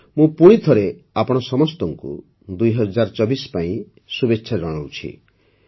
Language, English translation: Odia, Best wishes to all of you for 2024